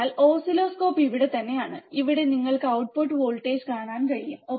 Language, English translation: Malayalam, So, oscilloscope is right here, and here you can see the output voltage, right